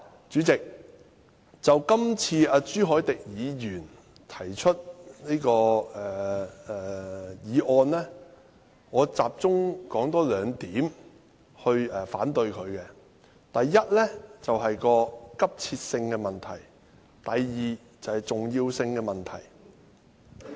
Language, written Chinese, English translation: Cantonese, 主席，就這次朱凱廸議員提出的議案，我集中說兩點來反對：第一，是急切性的問題；第二，是重要性的問題。, President as regards the motion proposed by Mr CHU Hoi - dick I will focus my opposing views on two points the first one is about urgency; the second one is about importance